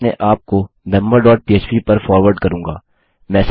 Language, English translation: Hindi, Ill just forward myself to member dot php